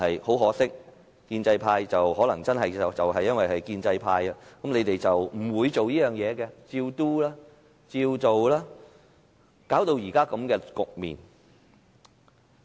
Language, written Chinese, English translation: Cantonese, 很可惜，建制派可能真的因為是建制派，是不會這樣做的，只會按指示做，導致現時這個局面。, Unfortunately perhaps because the pro - establishment camp is really pro - establishment that they would not do so but would do as instructed leading to the current situation